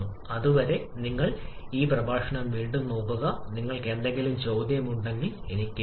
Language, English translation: Malayalam, Till then you please revise this lecture and if you have any query, please write to me, Thank you